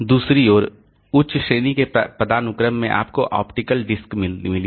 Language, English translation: Hindi, On the other hand, next level of hierarchy you have got optical disks